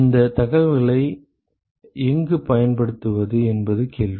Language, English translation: Tamil, The question is where do we use all this information